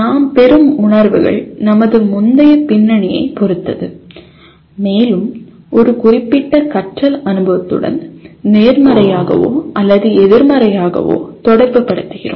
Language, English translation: Tamil, The feelings that we get are dependent on our previous background and we relate either positively or negatively to a particular learning experience